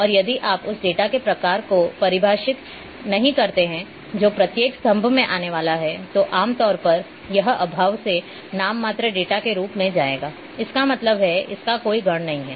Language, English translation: Hindi, And if you don’t do not define the type of data which is going to come in each column then, normally it will go as a nominal data by default; that means it does not have any order and once it does’nt have any order